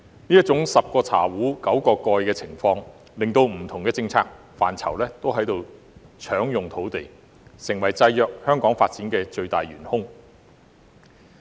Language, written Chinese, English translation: Cantonese, 這種"十個茶壺九個蓋"的情況，令不同政策範疇也在搶用土地，成為制約香港發展的最大元兇。, With only nine lids for ten teapots different policy areas have to compete for land and this is the biggest culprit in restricting the development of Hong Kong